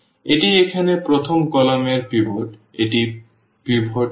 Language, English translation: Bengali, This is the pivot here in the first column, this is not pivot